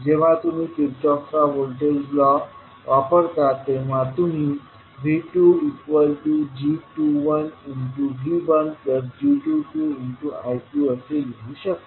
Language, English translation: Marathi, So when you use Kirchhoff’s voltage law you will write V2 as g21 V1 plus g22 I2